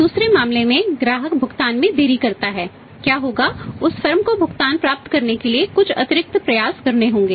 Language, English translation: Hindi, In the second case customer delayed payment in case the custom delays the payments what will happen that firm has to make some extra efforts to receive the payment